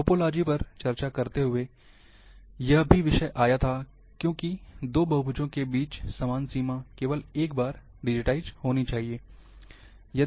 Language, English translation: Hindi, While discussing topology, this issue also came, because the common boundary, between 2 polygons, should be digitized only once